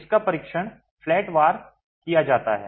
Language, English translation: Hindi, It is tested flatwise